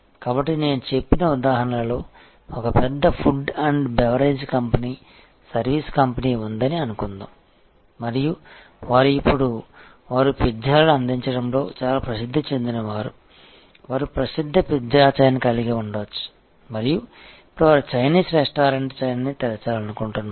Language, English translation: Telugu, So, the example that I said suppose there is a big food and beverage company a service company and they are now, they are quite famous as a pizza, they may have famous pizza chain and now, they want to open A Chinese restaurant chain